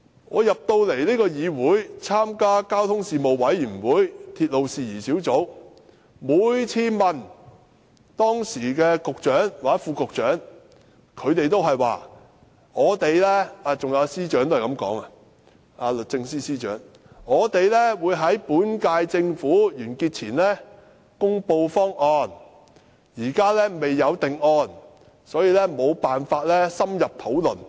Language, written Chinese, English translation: Cantonese, 我進入立法會參加交通事務委員會及鐵路事宜小組委員會，每次向時任局長、副局長，還有律政司司長提問，他們都是說會在本屆政府完結前公布方案，暫時未有定案，所以無法深入討論。, After I became a Legislative Council Member I joined the Panel on Transport and the Subcommittee on Matters Relating to Railways . Whenever I asked the incumbent Secretary Under Secretary and Secretary for Justice on this proposal they all said that the proposal would be announced before the Government ended its term and there was no finalized proposal for further discussion